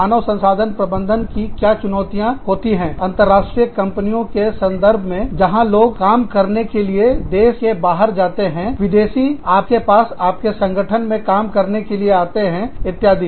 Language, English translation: Hindi, What are the challenges, that human resources managers face, in the context of international companies, where you have people, going abroad to work by, you have foreigners, coming into work in your organization, etcetera